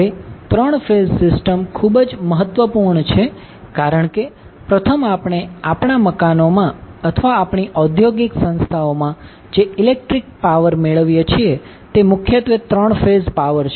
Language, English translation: Gujarati, Because, there are 3 major reasons of that, first, the electric power which we get in our houses or in our industrial establishments are mainly the 3 phase power